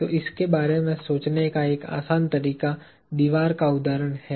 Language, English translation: Hindi, So, a simple way of thinking of this is the wall example